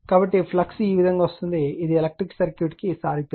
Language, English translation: Telugu, So, flux is coming out this way you take this is analogous analogy to electric circuit right